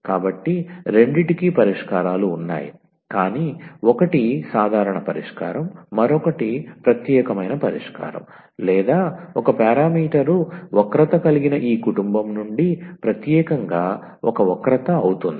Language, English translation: Telugu, So, both have the solutions, but one is the general solution the other one is the particular solution or particular a curve out of this family of one parameter curves